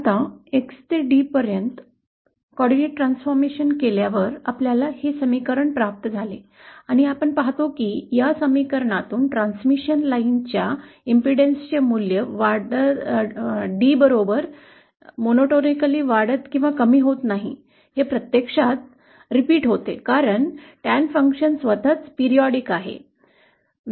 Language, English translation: Marathi, Now after doing the coordinate transformation from X to D, we get this equation and we see that from this equation what we can see is that the value of impedance for the transmission line does not keep increasing or decreasing monotonically with increasing D, it actually repeats because the Tan function actually repeats itself